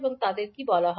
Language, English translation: Bengali, And what they are called